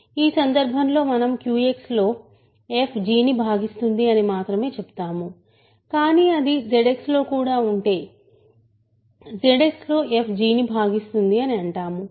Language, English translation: Telugu, In this case we only say f divides g in Q X, but if it also lives in Z X we say f divides g in Z X